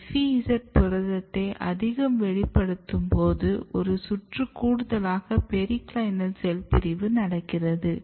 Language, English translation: Tamil, So, you are over expressing FEZ protein and what you can see there is additional round of periclinal cell division